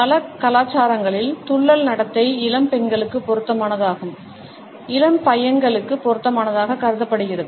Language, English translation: Tamil, In many cultures, we would find that pouting behaviour is considered to be appropriate for young girls and in appropriate for young boys